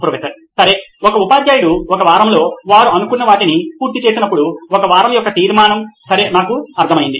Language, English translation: Telugu, Okay, it’s a difficult situation that a teacher is when they do not cover what they are supposed to in a week, resolution of a week, okay I get it